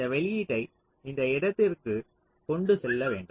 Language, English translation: Tamil, so this output has to be carried to this point